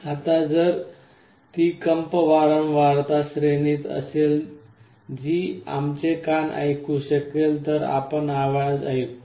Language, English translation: Marathi, Now, if that vibration is in a frequency range that our ear can hear we will be hearing a sound